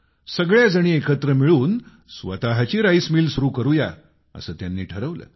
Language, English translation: Marathi, They decided that collectively they would start their own rice mill